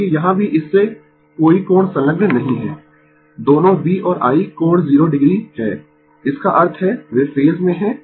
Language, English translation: Hindi, Because, here also no angle associated with that both V and I are angle 0 degree; that means, they are in the same phase